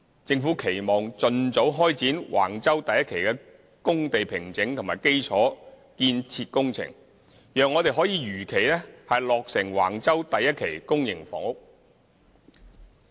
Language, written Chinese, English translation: Cantonese, 政府期望盡早開展橫洲第1期的工地平整和基礎建設工程，讓我們可如期落成橫洲第1期公營房屋。, The Government hopes that the site formation and infrastructural works for Wang Chau Phase 1 can be carried out expeditiously so as to facilitate the scheduled completion of public housing units at Wang Chau Phase 1